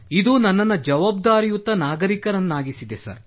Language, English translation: Kannada, It has made me a more responsible citizen Sir